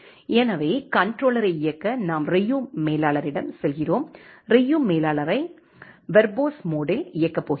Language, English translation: Tamil, So, to run the controller we are going to Ryu manager, going to run Ryu manager in the verbose mode